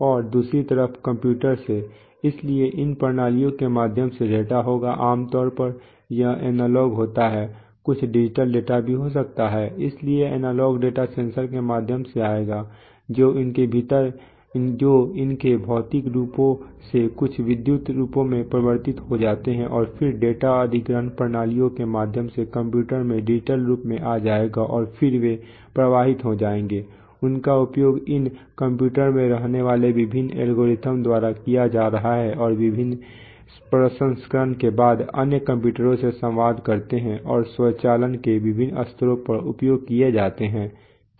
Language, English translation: Hindi, And to the computer on the other side, so through these systems the data will, the analog data usually analog there can be some digital data also, so the analog data will come through the sensors get converted from their physical forms into some electrical forms and then through the data acquisition systems will get into digital form into the computers and then they are going to flow, them they are going to be utilized by the various algorithms residing at these computers and they are going to get communicated to other computers after various processing and get utilized at the various levels of automation